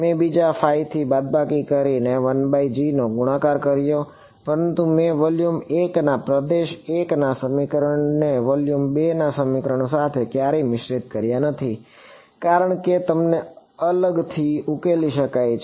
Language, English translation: Gujarati, I multiplied 1 by g the other by phi subtracted them, but I never mixed the equations for region 1 of volume 1 with the equations for volume 2, as sort of solved them separately